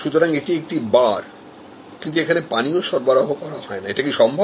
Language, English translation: Bengali, So, it is a bar, but it does not serve drinks